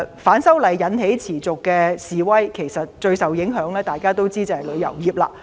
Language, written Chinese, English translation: Cantonese, 反修例引起持續示威，大家知道最受影響的是旅遊業。, The anti - extradition bill movement has led to prolonged protests . We know the industry being affected the most is the tourism industry